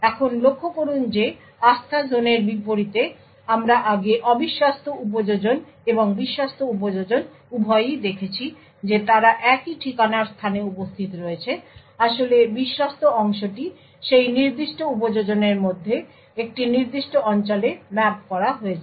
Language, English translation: Bengali, Now note that unlike the Trustzone we have seen earlier both the untrusted application and the trusted application are present in the same address space, in fact the trusted part is just mapped to a certain region within that particular application